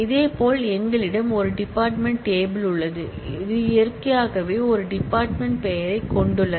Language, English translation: Tamil, Similarly, we have a department table which naturally has a department name